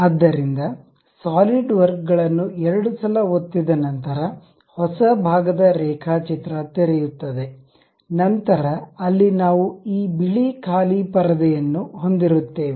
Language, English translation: Kannada, So, after double clicking our Solidworks, opening a new part drawing we will have this white blank screen